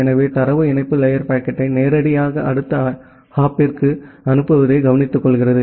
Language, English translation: Tamil, So, the data link layer takes care of forwarding the packet directly to the next hop